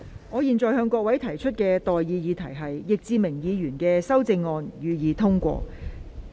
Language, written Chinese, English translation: Cantonese, 我現在向各位提出的待議議題是：易志明議員動議的修正案，予以通過。, I now propose the question to you and that is That the amendment moved by Mr Frankie YICK be passed